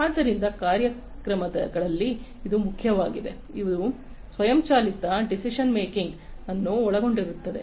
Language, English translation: Kannada, So, it is important in programs, which involve automated decision making